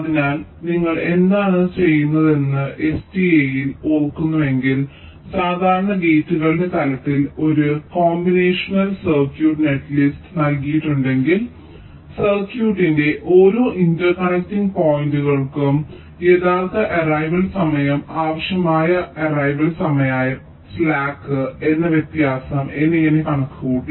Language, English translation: Malayalam, so if you recall in sta what we were doing, given a combinational circuit netlist, typically at the level of gates, we were calculating for every interesting points of the circuit something called actual arrival times, required arrival times and the difference that is the slack